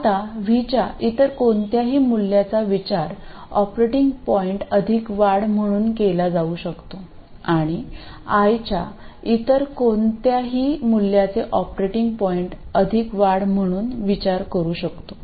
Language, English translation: Marathi, Now any other value of V can be thought of as the operating point plus an increment and any other value of Y can be thought of as the operating point plus an increment